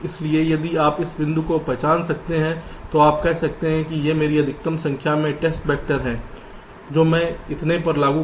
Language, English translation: Hindi, so if you can identify this point, then you can say that well, this is my optimum number of test vectors, i will apply so many